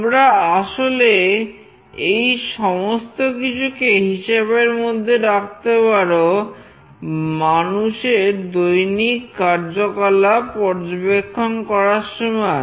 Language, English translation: Bengali, You can actually take all these things into consideration while tracking human activity